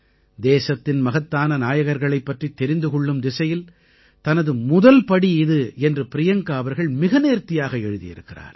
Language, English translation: Tamil, Priyanka ji has beautifully mentioned that this was her first step in the realm of acquainting herself with the country's great luminaries